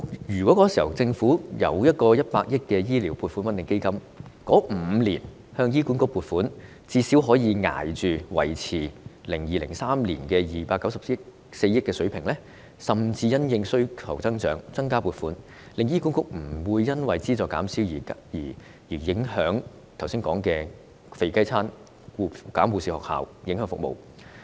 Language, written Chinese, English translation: Cantonese, 如果當時政府成立一個100億元的醫療撥款穩定基金，該5年的醫管局撥款最少可以維持在 2002-2003 年度的294億元水平，甚至因應需求增長而增加撥款，醫管局便不會因資助減少而出現剛才所說的"肥雞餐"和關閉護士學校的情況，從而影響服務。, If the Government had set up a 10 billion public health care stabilization fund at that time HA funding for these five years could at least have been maintained at the 2002 - 2003 level of 29.4 billion . Funding could even be increased in response to the increase in demand so HA would not have to introduce voluntary retirement packages and close nursing schools due to reduced funding which affected services